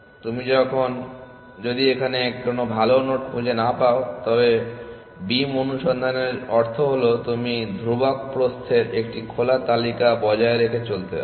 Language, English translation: Bengali, If you do not find a better node here, meaning of beam search is that you maintain an open list of constant width